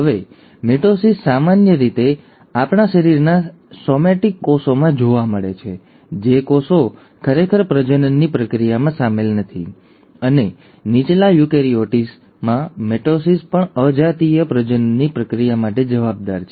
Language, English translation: Gujarati, So mitosis is usually seen in somatic cells of our body, the cells which are actually not involved in the process of reproduction, and mitosis in lower eukaryotes is also responsible for the process of asexual reproduction